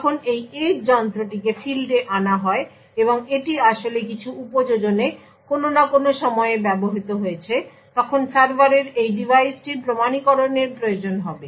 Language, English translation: Bengali, So when this edge device is fielded and it is actually used in in some applications at some time or the other the server would require that this device needs to be authenticated